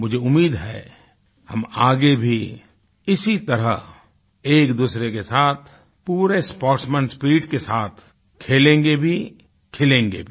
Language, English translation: Hindi, I sincerely hope, that in future too, we'll play with each other with the best sportsman spirit & shine together